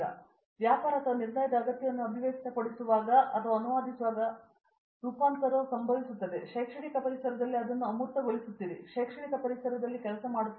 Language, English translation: Kannada, So, the first transformation happens when you are articulating or translating a business or a decision need; you are abstracting that into an academic environment, you are working in that academic environment